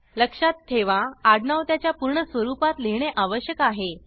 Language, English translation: Marathi, Note that the last name must be written in its full form